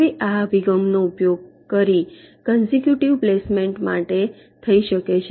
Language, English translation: Gujarati, now this approach can be used for constructive placement